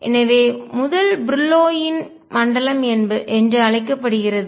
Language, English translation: Tamil, So, this is known as the first Brillouin zone